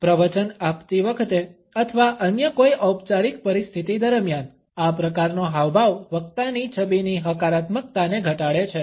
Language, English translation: Gujarati, While delivering a lecture or during any other formal situation, this type of a gesture diminishes the positivity of the speakers image